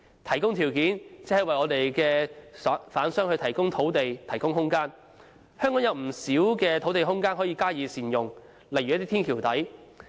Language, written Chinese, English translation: Cantonese, 提供條件就是為販商提供土地和空間，香港有不少土地空間可以加以善用，例如天橋底。, Providing a favourable environment is to provide the land and space for traders . There are many open areas that can be used such as the space under a bridge